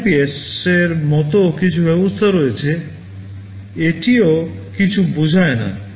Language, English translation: Bengali, There are some measures like MIPS; this also does not mean anything